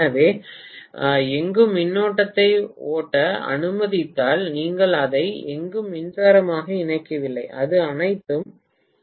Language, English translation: Tamil, So, anywhere if the current is allowed to flow you are not connecting it electrically anywhere, it is all mutually coupled